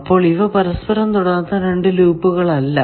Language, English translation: Malayalam, That means, are there two loops which are not touching